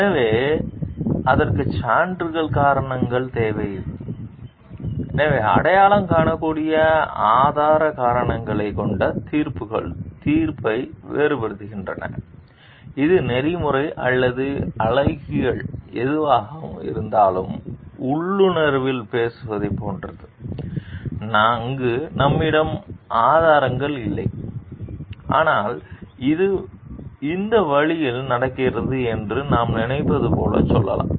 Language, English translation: Tamil, So, it requires evidence, reasons, so judgments with identifiable evidence reasons is what it distinguishes judgment, which is ethical or aesthetic whatever it is from like talking on intuition where we may not have evidence, but we will tell like we think like this is happening in this way